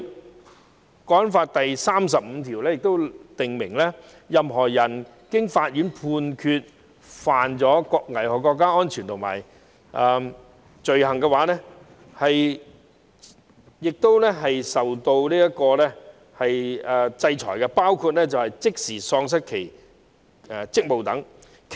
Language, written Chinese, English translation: Cantonese, 《香港國安法》第三十五條亦訂明，任何人經法院判決犯危害國家安全罪行，須受處罰，包括即時喪失職務等。, Article 35 of the National Security Law also provides that a person who is convicted of an offence endangering national security by a court shall be subject to penalties including immediateremoval from office